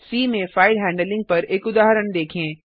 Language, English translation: Hindi, Now let us see an example on file handling in C